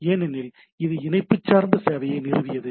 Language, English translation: Tamil, So, it is a connection oriented service